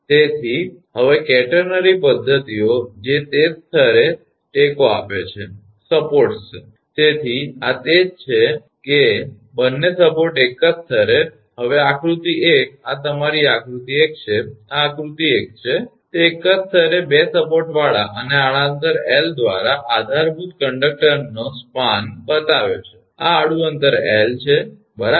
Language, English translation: Gujarati, So now catenary methods that is supports at the same level; so, this is that both the support at the same level, now figure one this is your figure one this is figure one, it is shows a span of conductor with 2 supports at the same level and supported by a horizontal distance L this is the horizontal distance L right